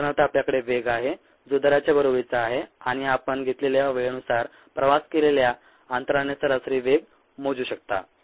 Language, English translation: Marathi, for example, ah, you have speed, which is equivalent of rate, and you could measure an average speed by the distance travelled, by time taken